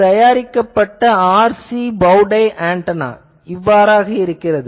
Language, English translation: Tamil, Now, this is a fabricated RC bowtie antenna looks like